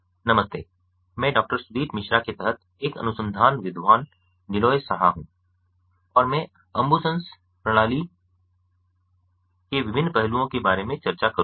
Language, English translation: Hindi, hi, i am neeloy saha, a research scholar under doctor sudip misra, and i will discuss about the different facets of the ambusens system